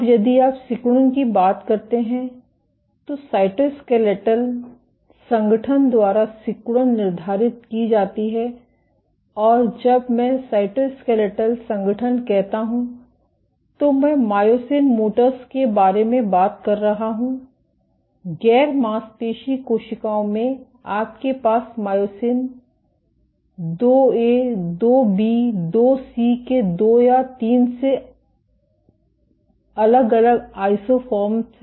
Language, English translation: Hindi, Now, if you talk about contractility, contractility is dictated by cytoskeletal organization and when I say cytoskeletal organization, I am talking about myosin motors, in non muscle cells you have 2 or 3 different isoforms of myosin II A, II B, II C these localized in spatially distinct manner